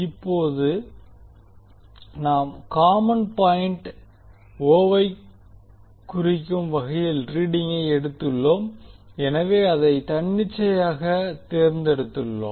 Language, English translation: Tamil, Now we have taken the reading with reference to common point o, so we have selected it arbitrarily